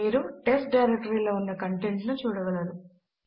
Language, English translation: Telugu, You can see the contents of the test directory